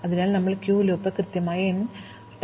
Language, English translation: Malayalam, So, we will do the queue loop exactly n times